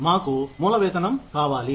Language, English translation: Telugu, We want to have a base salary